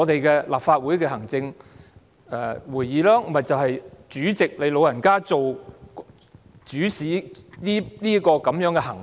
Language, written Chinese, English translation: Cantonese, 是立法會行政管理委員會，亦即說，是主席你"老人家"主使這種行為。, The Legislative Council Commission . That is to say President it was your good self who instigated such conduct